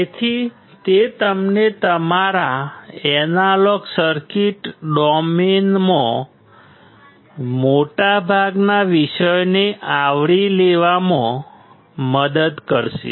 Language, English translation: Gujarati, So, it will help you to cover most of the topics, in your analog circuit domain